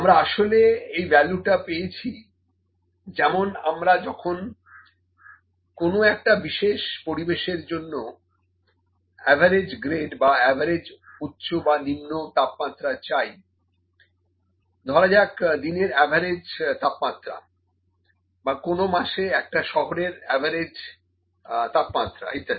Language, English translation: Bengali, So, this value this is actually, the value that we receive, when we ask for the average grade or the average high or low temperature for a specific environment for say, average temperature in a day or average temperature of the city in a month, something like that